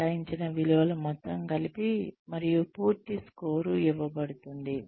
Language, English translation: Telugu, The assigned values are then totaled, and a full score is given